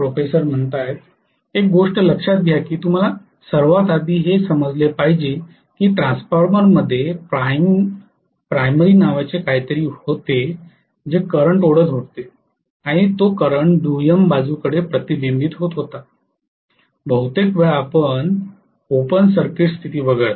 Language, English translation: Marathi, See one thing is you have to understand first of all that in the transformer, there was something called a primary which was drawing the current and that current was reflecting on to the secondary side, most of the time except for open circuit condition